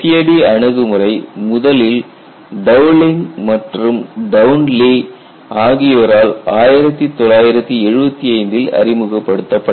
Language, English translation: Tamil, The FAD approach was originally introduced in 1975 by Dowling and Townlay